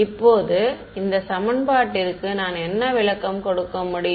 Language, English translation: Tamil, Now, what am I can we give a interpretation to this equation